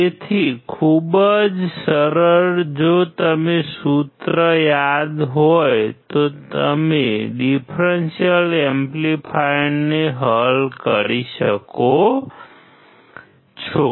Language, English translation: Gujarati, So, very easy if you remember the formula you can solve the differential amplifier